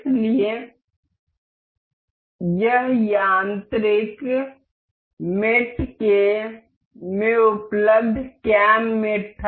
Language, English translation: Hindi, So, this was cam mate available in mechanical mates